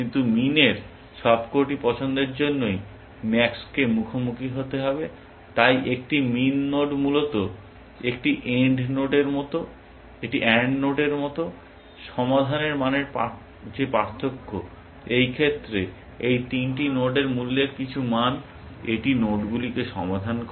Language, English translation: Bengali, But max has to en counter for all of min choices, so a min node is like an and node essentially, the differences that the value of the solution, is in this case a some of the values of cost of these three nodes, solving this nodes